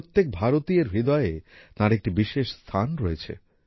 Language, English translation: Bengali, He has a special place in the heart of every Indian